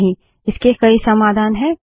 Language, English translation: Hindi, No, there are a number of solutions